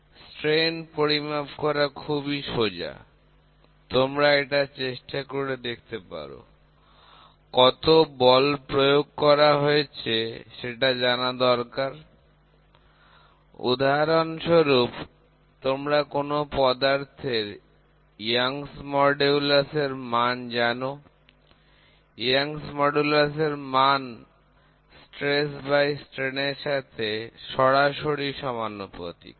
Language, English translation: Bengali, It is easy to measure strain from the strain, you can try to go back and work out, what is the force you applied for example, you know the Young’s modulus of a given material, Young’s modulus within the elastic limit is directly proportional to stress by strain